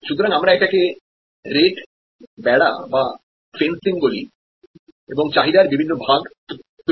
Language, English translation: Bengali, So, we call this rate fencing and creating buckets of demand